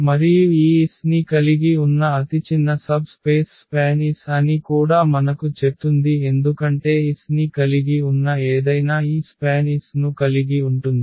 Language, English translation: Telugu, And that itself tell us that span S is the smallest subspace which contains this S because anything else which contains s will also contain this span S